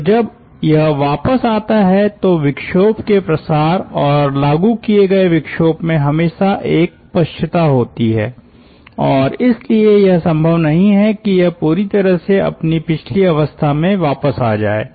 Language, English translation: Hindi, so when it comes back ah, there is always a lag in that propagation of the disturbance and imposition of the disturbance and therefore it is not possible that it entirely reverses back its state